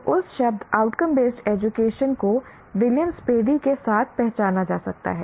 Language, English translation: Hindi, So the outcome based education, that word can be identified with Williams Paddy